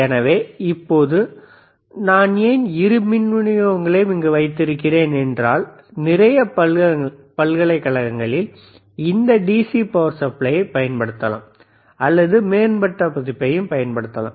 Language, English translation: Tamil, So now, why I have kept both the power supplies here is that lot of universities may still use this DC power supply or may use advanced version